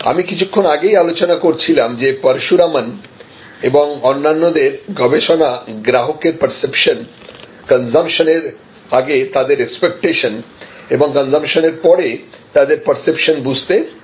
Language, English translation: Bengali, Now, the research of Parasuraman and others, which I talked about a little while earlier, showed that the best way to understand customers perception, pre consumption, expectation and post consumption perception